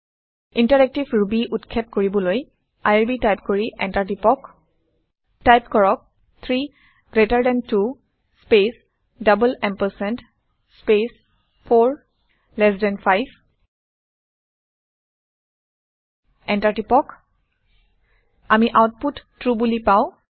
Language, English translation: Assamese, Type irb and press Enter to launch interactive Ruby Type 3 greater than 2 space double ampersand space 4 less than 5 Press Enter We get the output as true